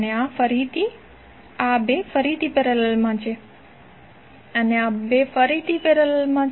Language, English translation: Gujarati, These 2 are again in parallel and these 2 are again in parallel